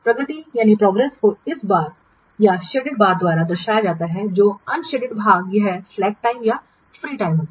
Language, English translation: Hindi, The progress is represented by this bars or the shaded parts and unshaded part is this what slack time or the what free time